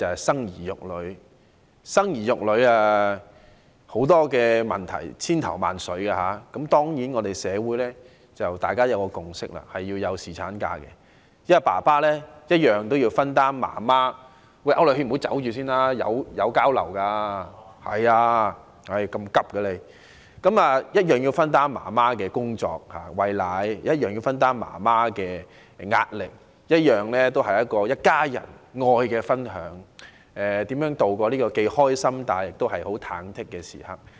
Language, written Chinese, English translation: Cantonese, 生兒育女涉及多方面的考慮，但社會已有共識，須讓父親享有侍產假，因為他們需要分擔母親的——請區諾軒議員稍留步，大家交流一下吧，為何急着離開呢——工作及母親的壓力，這是一家人愛的分享，共同度過既開心，又忐忑的時光。, There are various things to consider in deciding whether to have children but there is a consensus in the community that fathers should be entitled to paternity leave as they have to share―Mr AU Nok - hin please stay a little longer and do not hasten to leave―the mothers work and pressure as well for this means love for the whole family in that its members share the happiness together although feeling perturbed somehow